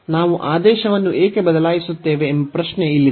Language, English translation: Kannada, So, the question is here that why do we change the order